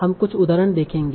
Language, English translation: Hindi, So let us see some examples